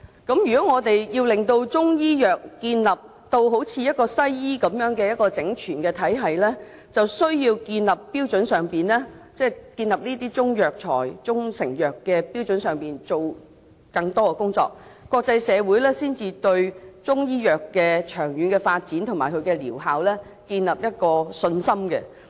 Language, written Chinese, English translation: Cantonese, 如果我們要令中醫藥建立如西醫般的整全體系，便需要在建立中藥材及中成藥的標準上做更多的工作，國際社會才會對中醫藥的長遠發展及療效建立信心。, To establish a comprehensive system for Chinese medicine similar to that of Western medicine it is necessary to step up efforts in setting standards for Chinese herbal medicines and proprietary Chinese medicines . Only in this way will the international community have confidence in the long - term development and efficacy of Chinese medicine